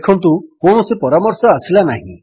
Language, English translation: Odia, Notice that no suggestions come up